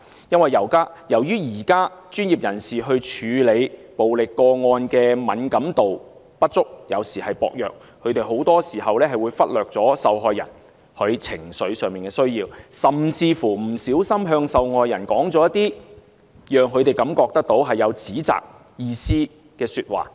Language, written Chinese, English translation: Cantonese, 由於現時專業人士處理暴力個案的敏感度不足或薄弱，他們很多時會忽略受害人情緒上的需要，甚至不小心向受害人說出一些令她們感到受指責的說話。, At present as these experts lack the sensitivity and skills in handling violence cases they will frequently neglect the emotional needs of the victims . Some would even put the blame on the victims . There is also confusion in society under which victims of sexual violence are stereotyped